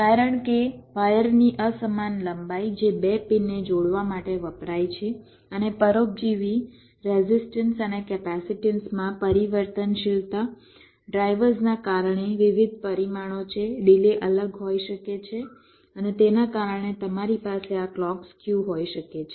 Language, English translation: Gujarati, because of the means unequal length of the wires that are used to connect the two pins, and also variability in the parasitic resistances and capacitances drivers various parameters are there, the delays can be different and because of that you can have this clock skew right